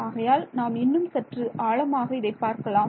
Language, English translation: Tamil, So now let us go a little bit deeper into that